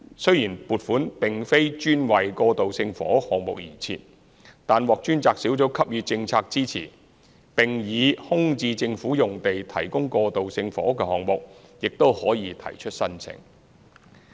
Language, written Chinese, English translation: Cantonese, 雖然撥款並非專為過渡性房屋項目而設，但獲專責小組給予政策支持，並且，以空置政府用地提供過渡性房屋的項目也可提出申請。, Although the fund is not dedicated for transitional housing projects it is given policy support by the task force . Besides projects providing transitional housing on vacant Government land can also apply for funding